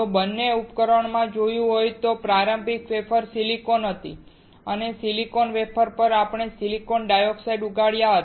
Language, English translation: Gujarati, If you have noticed in both the devices, the starting wafer was silicon and on that silicon wafer, we grew silicon dioxide